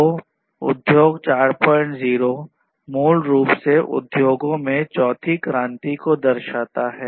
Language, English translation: Hindi, 0 basically corresponds to the fourth revolution in the industries